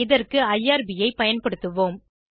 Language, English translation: Tamil, We will use irb for this